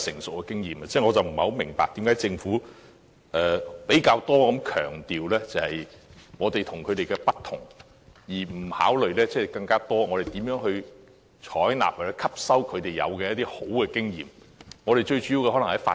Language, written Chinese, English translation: Cantonese, 所以我不明白為何政府較多強調我們與他們的不同，而不考慮我們如何多採納和吸收其優良經驗。, I therefore cannot quite understand why the Government should give such a heavier emphasis on the differences between Hong Kong and the Mainland rather than considering how Hong Kong can learn from the valuable experience of the Mainland